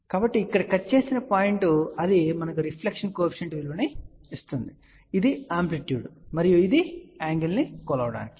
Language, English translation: Telugu, So, wherever it cuts here that will straightway give us the reflection coefficient value which is the amplitude and the angle can be measured